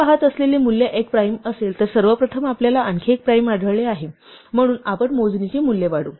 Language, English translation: Marathi, If the first, if the value i we are looking at is a prime then first of all we have found one more prime, so we increment the value of count